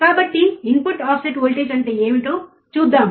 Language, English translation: Telugu, So, let us see input offset voltage experiment